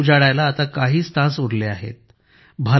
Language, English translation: Marathi, 2024 is just a few hours away